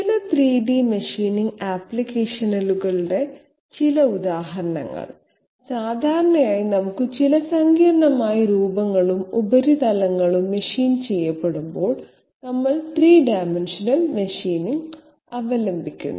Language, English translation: Malayalam, Some examples of some 3D machining applications, generally whenever we have some complex shapes and surfaces to be machined out, we resort to 3 dimensional machining